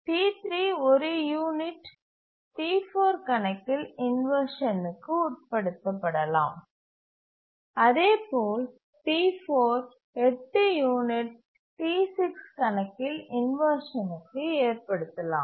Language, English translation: Tamil, So, T3 can undergo inversion on account of T4 for one unit, and similarly T4 can undergo inversion on account of T6 for 8 units